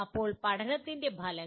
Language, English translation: Malayalam, Now, outcomes of learning